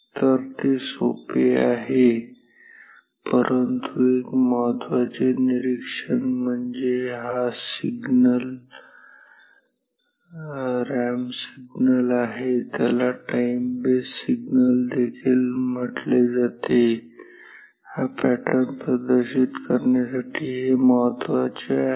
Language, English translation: Marathi, So that is easy, but one important observation is that the this signal, this ramp signal, which is also called the time base signal, this is also important to have this pattern displayed